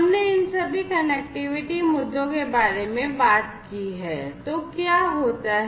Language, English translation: Hindi, So, we have talked about all of these connectivity issues